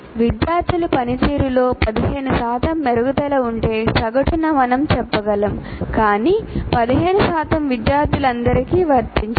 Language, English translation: Telugu, On the average, we can say there is an improvement in improvement of 15% in the performance of the students